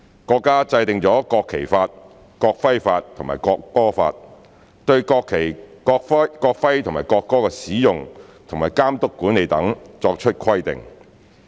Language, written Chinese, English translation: Cantonese, 國家制定了《國旗法》、《國徽法》及《國歌法》，對國旗、國徽和國歌的使用和監督管理等作出規定。, The country has enacted the National Flag Law the National Emblem Law and the National Anthem Law to regulate the use supervision and administration of the national flag the national emblem and the national anthem